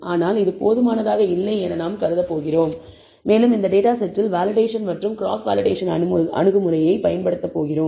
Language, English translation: Tamil, Actually this is sufficiently large, but we are going to assume this is not large enough and we use the validation and cross validation approach on this data set